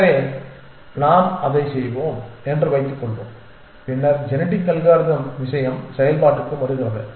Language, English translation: Tamil, So, let us assume that we will do that and then with the genetic algorithm thing comes into play